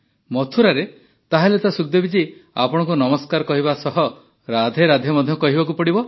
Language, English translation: Odia, In Mathura, then Sukhdevi ji, one has to say Namaste and say RadheRadhe as well